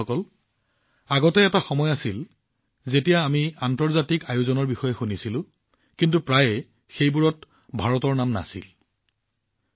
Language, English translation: Assamese, Friends, earlier there used to be a time when we used to come to know about international events, but, often there was no mention of India in them